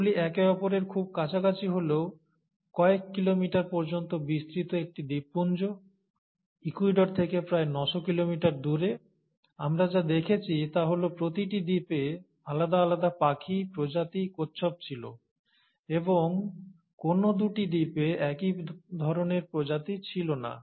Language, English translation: Bengali, And these are a group of islands which are spread across a few kilometers, very close to each other, but about nine hundred kilometers from Ecuador, and what we observed is that in each island, there were unique birds, species and tortoises and no two islands had the same kind of species